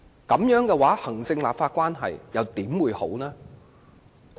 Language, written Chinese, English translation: Cantonese, 這樣的話，行政立法關係又怎會好？, If that is the case how can there be a good executive - legislature relationship?